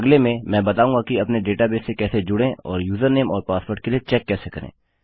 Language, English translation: Hindi, In the next one I will show how to connect to our database and check for the user name and password